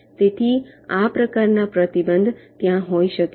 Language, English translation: Gujarati, so this kind of a constraint can be there